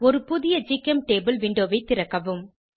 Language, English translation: Tamil, Lets open a new GChemTable window